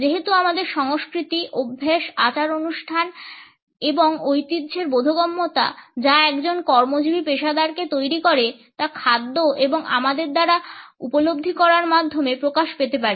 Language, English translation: Bengali, Since our understanding of culture, habits, rituals and traditions which mould a working professional can be explode through food and the way it is perceived by us